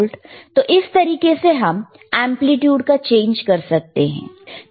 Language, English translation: Hindi, So, this is how you can see the change in the amplitude,